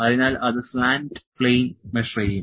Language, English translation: Malayalam, So, it will measure the slant plane